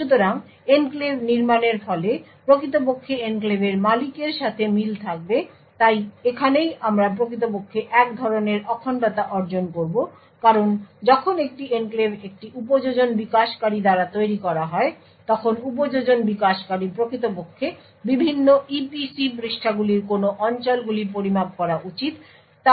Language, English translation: Bengali, So construction of the enclave would actually result in a matching with the enclave owner so this is where we actually would obtain some level of integrity because when an enclave gets created by an application developer the application developer could actually specify which regions in the various EPC pages should be measured